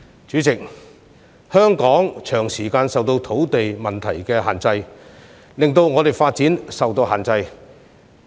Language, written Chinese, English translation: Cantonese, 主席，香港長時間受土地問題所限，以致在發展方面出現種種掣肘。, President owing to its long standing land - related problem Hong Kong is facing a lot of limitations as far as development is concerned